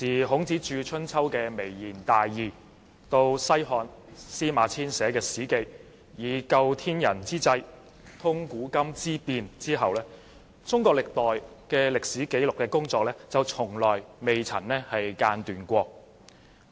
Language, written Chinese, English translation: Cantonese, 孔子著《春秋》談及微言大義，後來西漢司馬遷撰寫《史記》提到"究天人之際，通古今之變"，中國歷代的歷史紀錄工作一直從未間斷。, Confucius wrote Spring and Autumn Annals to convey profound meanings with sublime words and later SIMA Qian of the Han Dynasty wrote Records of the Grand Historian to examine into all that concerns Heaven and the human and penetrate the changes of the past and present . The work on keeping the historical records of various dynasties has never stopped